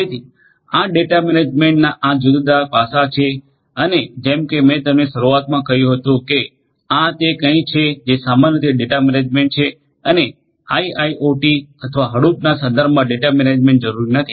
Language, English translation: Gujarati, So, these are these different aspects of data management and as I told you at the outset that, this is something that what is data management in general and not necessarily in the context of IIoT or data management with Hadoop